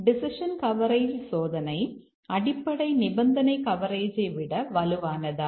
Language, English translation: Tamil, But is decision coverage testing stronger than the basic condition coverage